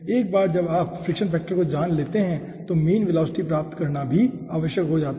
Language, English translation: Hindi, okay, once you know the fraction factor, it is also necessary to get the mean velocity